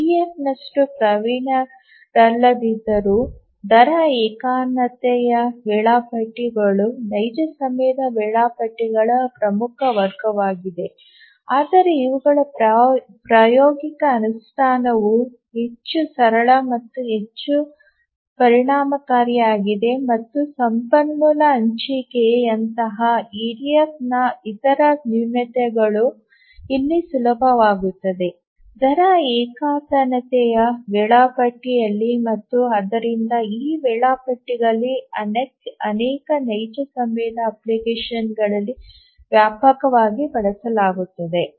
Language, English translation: Kannada, Even though these are not as proficient than the EDF but practical implementation of these is much simpler and also more efficient and the other shortcomings of the EDF like resource sharing and so on become easy here in the rate monotonic scheduler and therefore these these schedulers are used extensively in many real time applications